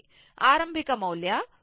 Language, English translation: Kannada, So, initial value of V C 0 known